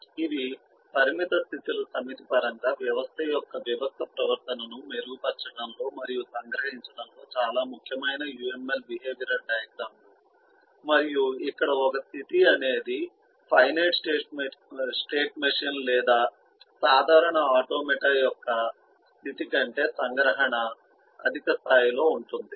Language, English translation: Telugu, these are uml behavioral diagrams which are very important in refining and capturing the discrete behavior of a system in terms of a set of finite states and a state here is a at a higher level of abstraction than the state as we refer to them in terms of a finite state machine or a regular automata